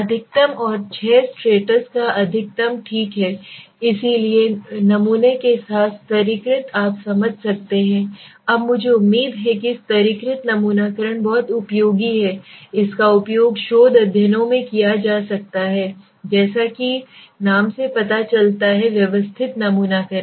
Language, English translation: Hindi, Maximum and six strata s maximum okay so this is what to remember so after we are done with the stratified with the sampling you can understand now I hope stratified sampling is a very useful sampling it can be used in most useful research studies right so now let s say the next systematic sampling as the name suggests